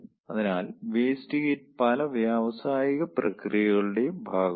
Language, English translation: Malayalam, so waste heat is is kind of part and parcel of many of the industrial processes